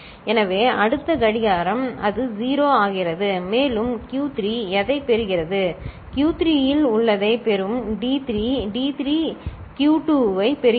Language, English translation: Tamil, So, next clock it becomes 0 and what Q3 will get, Q3 will get whatever is there in D3, D3 gets Q2